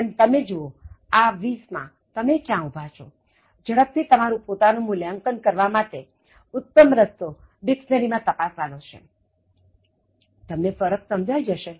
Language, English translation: Gujarati, But, just see where you stand in this 20 and then you want to do a quick self assessment, the best way is to check out these words in a dictionary, look for the difference